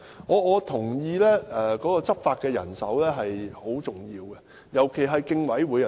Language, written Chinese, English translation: Cantonese, 我認同執法的人手是很重要的，尤其是競委會。, I agree that law enforcement manpower is crucial especially that of the Commission